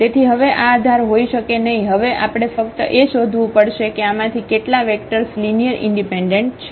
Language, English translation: Gujarati, So, these may not be the basis now we have to just find out that how many of these vectors are linearly independent